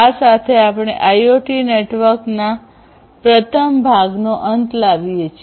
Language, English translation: Gujarati, So, with this we come to an end of the first part of IoT networks